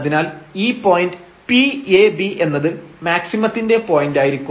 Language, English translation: Malayalam, Then P this point p a b will be a point of maximum, when it will be a point of maximum